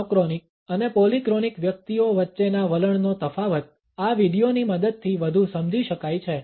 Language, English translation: Gujarati, The differences of attitude between monochronic and polychronic individuals can be further understood with the help of this video